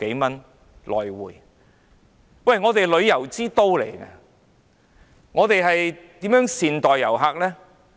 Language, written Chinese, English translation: Cantonese, 香港作為旅遊之都，應如何善待遊客呢？, As a major destination for tourists how should Hong Kong treat our visitors better?